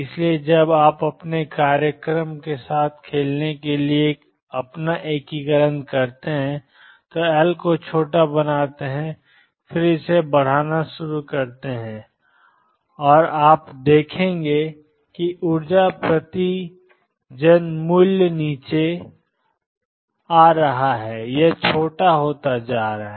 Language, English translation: Hindi, So, when you do your integration to play around with your programme make L small and then start increasing it and you will see that the energy eigenvalue is coming down it is becoming smaller